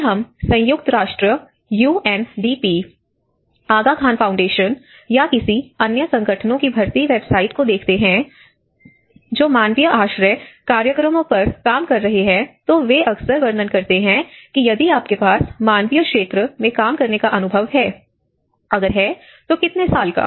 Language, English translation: Hindi, If we ever look at any recruitment website of United Nations, UNDP or Aga Khan Foundation or any other agencies who are working on the humanitarian shelter programs, they often describe that if you have an experience working in the humanitarian sector, how many years